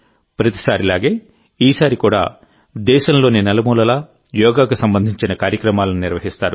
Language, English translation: Telugu, Like every time, this time too programs related to yoga will be organized in every corner of the country